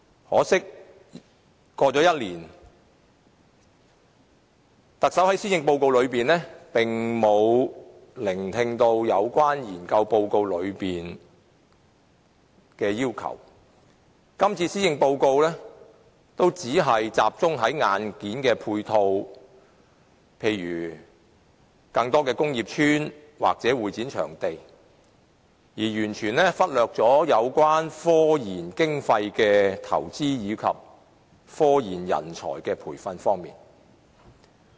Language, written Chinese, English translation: Cantonese, 可惜，一年過去了，特首並沒有聽取該研究報告內所提出的要求，而今年的施政報告亦只集中處理硬件配套問題，例如建造更多工業邨或會展場地，完全忽略了科研經費的投資及科研人才的培訓。, Unfortunately a year has passed but the Chief Executive has not listened to the demands put forth in the research report . The Policy Address this year likewise merely focuses on the handling of hardware support such as building more industrial estates or convention and exhibition venues totally neglecting the investment of funding in and the training of talents for scientific research